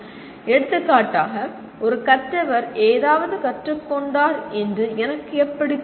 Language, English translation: Tamil, For example, how do I know a learner has learned something